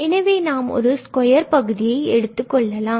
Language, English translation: Tamil, So, we are taking now this difference and then the square